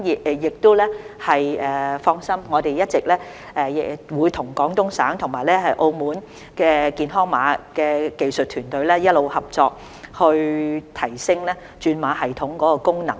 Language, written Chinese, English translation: Cantonese, 請放心，我們會與廣東省和澳門的健康碼技術團隊一直合作，提升轉碼系統的功能。, Please rest assured that we will continue to collaborate with the Health Code technical teams of Guangdong Province and Macao on enhancement of the code conversion system